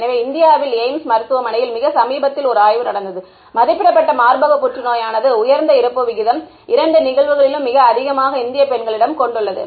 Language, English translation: Tamil, So, there was a study done by AIIMS in India very recently and the rated breast cancer is having the highest rate of both incidence and mortality amongst Indian woman